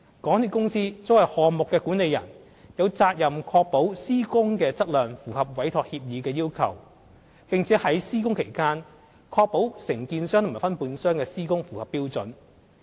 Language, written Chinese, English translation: Cantonese, 港鐵公司作為項目管理人，有責任確保施工的質量符合委託協議的要求，並在施工期間確保承建商和分判商的施工符合標準。, As the project manager MTRCL is required to ensure the quality of works comply with the requirements of the Entrustment Agreement and the works carried out by the contractors and subcontractors are in compliance with the standards during construction